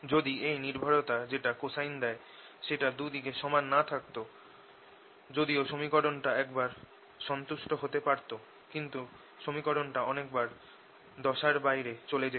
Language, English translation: Bengali, if this dependence, which is given by cosine whose, not the same on both sides although it could have the, the equation could have been satisfied once in a while, but it'll go out of phase further times